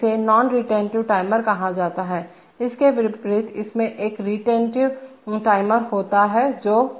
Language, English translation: Hindi, So this is called a non retentive timer contrasted to this there is a retentive timer which